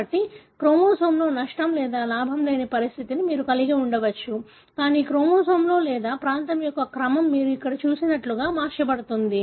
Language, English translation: Telugu, So, you may have a condition, wherein there is no loss or gain in the chromosome, but the order of the chromosome or part of the region is altered like what you see here